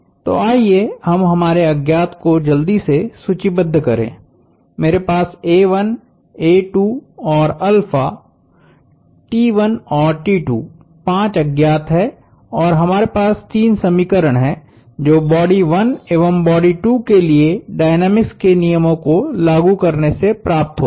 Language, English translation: Hindi, So, let us quickly list out our unknowns, I have a 1, a 2 and alpha, T 1 and T 2 as the five unknowns and we have three equations arising out of the applying the laws of dynamics to body 2 and to body 1